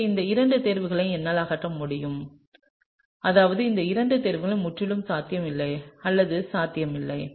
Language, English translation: Tamil, So, therefore, I can remove these two choices, that is these two choices are absolutely unlikely or not possible